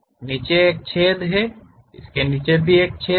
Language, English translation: Hindi, There is a hole at below, there is a hole at below